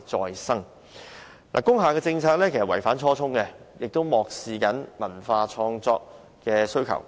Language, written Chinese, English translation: Cantonese, 現行的工廈政策其實既違反初衷，亦漠視文化創作的需求。, The current policies on industrial buildings runs counter to the original intent and disregard the need of cultural creation